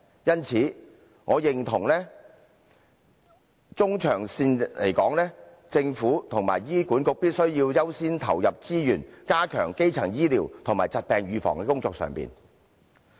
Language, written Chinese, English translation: Cantonese, 因此，我認同在中長線而言，政府和醫管局必須優先投放資源，加強基層醫療和疾病預防的工作。, Hence I agree that in the medium - to - long term the Government and HA must give priority to the enhancement of primary healthcare and disease prevention work in resource allocation